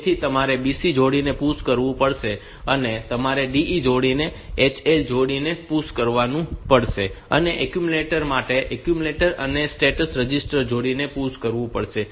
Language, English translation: Gujarati, So, you have to push the B C pair, you have to push the D E pair, HL pair, and for the accumulator the accumulator and the status register pair